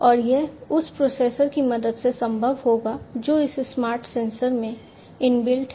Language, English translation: Hindi, And this would be possible with the help of the processor that is inbuilt into this smart sensor